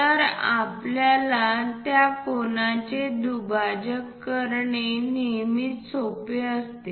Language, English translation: Marathi, So, it is always easy for us to bisect that angle